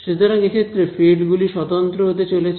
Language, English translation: Bengali, So, in this case the fields are going to be unique